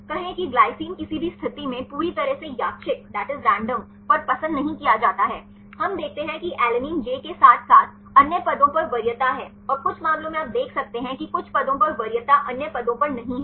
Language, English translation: Hindi, Say glycine is not preferred at any position right totally random, we see alanine is preference at the j as well as other positions and some cases you can see the preference at some positions are not in the other positions